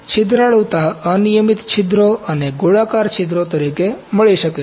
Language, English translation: Gujarati, Porosity can be found as irregular pores and spherical pores